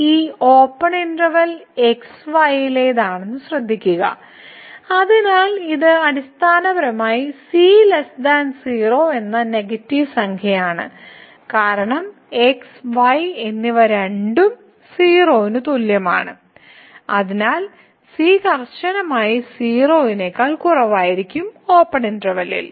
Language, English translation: Malayalam, And, note that the belongs to this open interval, so, it is basically a negative number the is less than because and both are less than equal to and therefore, the will be strictly less than in the open interval